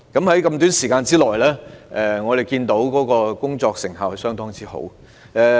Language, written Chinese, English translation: Cantonese, 雖然時間短促，但我們看到他們的工作成效相當好。, We could see that despite the tight time frame they were able to bring their work to effective completion